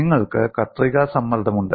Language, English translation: Malayalam, You have the shear stress